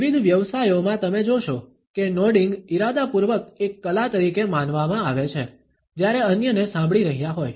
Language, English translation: Gujarati, In various professions you would find that nodding is deliberately thought as an art, while listening to others